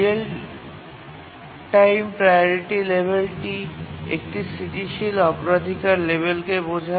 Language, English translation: Bengali, The real time priority level implies static priority level